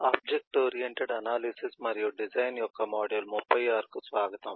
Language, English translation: Telugu, welcome to module 37 of object oriented analysis and design